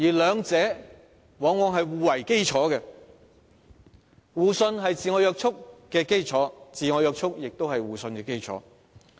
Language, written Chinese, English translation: Cantonese, 兩者往往是互為基礎，互信是自我約束的基礎，自我約束也是互信的基礎。, Each of the two serves as the basis for the other . Mutual trust forms the basis for self - restraint and self - restraint forms the basis for mutual trust